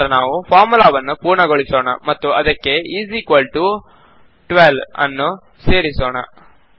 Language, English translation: Kannada, Next let us complete the formula and add is equal to 12 to it